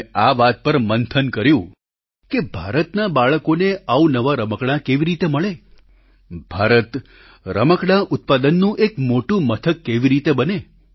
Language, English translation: Gujarati, We discussed how to make new toys available to the children of India, how India could become a big hub of toy production